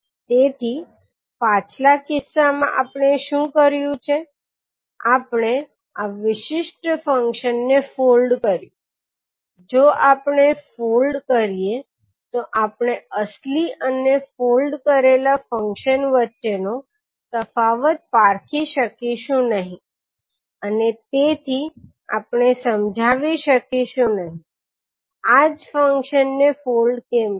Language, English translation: Gujarati, So like in the previous case what we did that we folded this particular function, if we fold we will not be able to differentiate between original and the folded function and we will not be able to explain it so that is why I folded this function